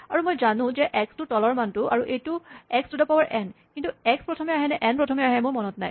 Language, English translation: Assamese, And I know that, x is the bottom value I know it is x to the power n, but I do not remember whether x comes first, or n comes first